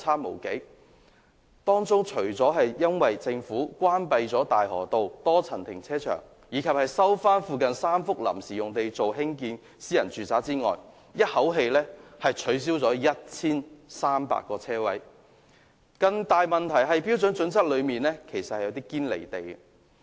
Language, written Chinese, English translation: Cantonese, 究其原因，除了政府關閉大河道多層停車場及收回附近3幅臨時停車場用地興建私人住宅，"一口氣"取消 1,300 個車位外，更大的問題是《規劃標準》內有些新標準"堅離地"。, While the closure of the Tsuen Wan Transport Complex Car Park at Tai Ho Road by the Government and the resumption of three sites previously used as temporary car parks for private residential developments had reduced 1 300 parking spaces in one go a more serious problem is that some new standards in HKPSG are utterly unrealistic